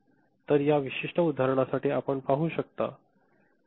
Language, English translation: Marathi, So, for this particular example you can see